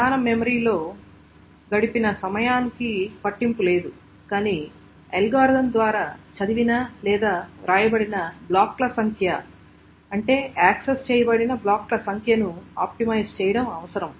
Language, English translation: Telugu, So it doesn't matter what is the time spent in the main memory, but the point is to optimize on the number of blocks that is read or written by the algorithm, so number of blocks that is accessed